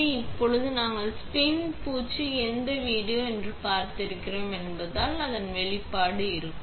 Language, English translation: Tamil, So, now, we since you have seen the video which is of spin coating, the next step would be exposure